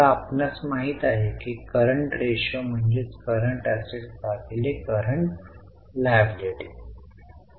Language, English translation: Marathi, Now, current ratio, you know it is current assets divided by current liabilities